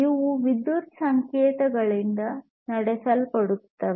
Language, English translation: Kannada, These are powered by electrical signals